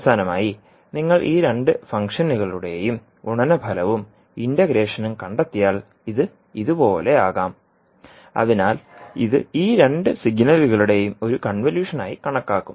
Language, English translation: Malayalam, So finally if you see and if you trace the product and the integration of these two functions, so it may look like this, so this would be considered as a convolution of these two signals